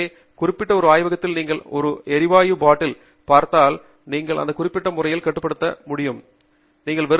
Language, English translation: Tamil, So, any time you walk in to a lab, if you see a gas bottle, you should see it restrained in this particular manner